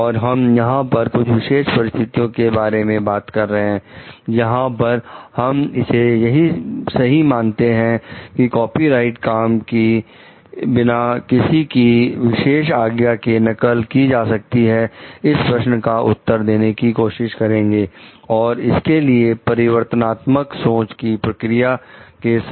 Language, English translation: Hindi, And we are also trying to discuss here some special conditions, where we find it is fair to copy a copyrighted work without even asking for explicit permission, will try to answer this question, with a reflective thought process